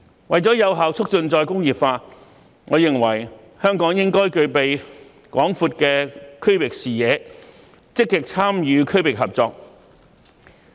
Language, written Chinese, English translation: Cantonese, 為了有效促進再工業化，我認為香港應具備廣闊的區域視野，積極參與區域合作。, In order to effectively promote re - industrialization I think Hong Kong should adopt a broad regional perspective and actively participate in regional cooperation